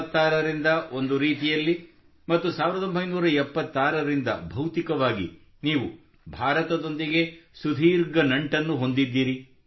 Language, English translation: Kannada, Since 1966 in a way and from 1976 physically you have been associated with India for long, will you please tell me what does India mean to you